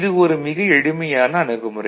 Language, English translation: Tamil, This is a very simple approach